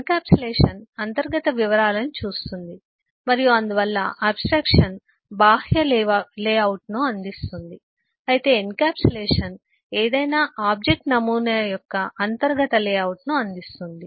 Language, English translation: Telugu, encapsulation looks at the internal details and therefore abstraction is provides the outer layout, whereas encapsulation provides the inner layout of any object model